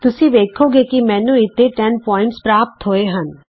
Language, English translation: Punjabi, notice I get 10 points here